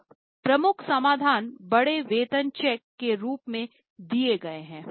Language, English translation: Hindi, Now the major solutions given are in the form of big paycheck